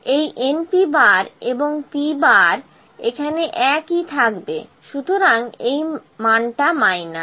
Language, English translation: Bengali, This n P and P bar would all remains same here, so the value is minus